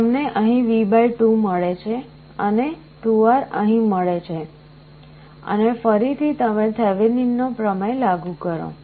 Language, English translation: Gujarati, At this point you get V / 2 here, and 2R here and again you apply Thevenin’s theorem